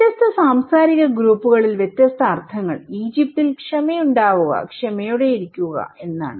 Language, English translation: Malayalam, The different meanings to different cultural groups, in Egypt have patience, be patient okay